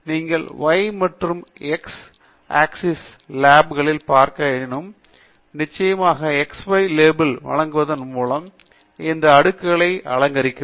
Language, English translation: Tamil, As you can see on the y and x axis labels, you can also, of course, enhance and decorate these plots by providing x y labels